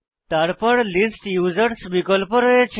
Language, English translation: Bengali, Then we have the option List Users